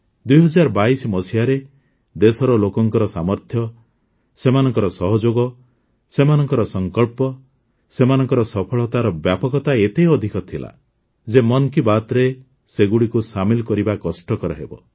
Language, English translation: Odia, In 2022, the strength of the people of the country, their cooperation, their resolve, their expansion of success was of such magnitude that it would be difficult to include all of those in 'Mann Ki Baat'